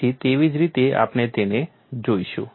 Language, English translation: Gujarati, So, that is the way we will look at it